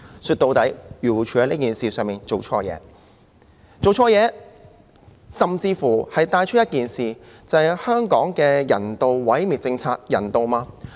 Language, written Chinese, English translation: Cantonese, 說到底，漁護署在此事上做錯了，這甚至帶出一件事，就是香港的人道毀滅政策人道嗎？, In the final analysis AFCD made a mistake in this matter and this brought forth one issue that is is the policy of euthanasia in Hong Kong humane?